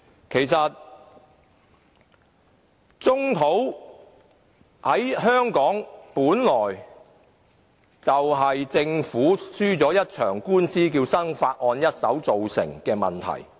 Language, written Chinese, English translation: Cantonese, 其實，棕地本來就是香港政府輸了一場官司，便是"生發案"一手造成的問題。, In fact the origin of brownfield sites can be traced back to the Melhado case in which the Government lost